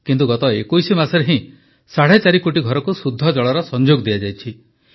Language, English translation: Odia, However, just in the last 21 months, four and a half crore houses have been given clean water connections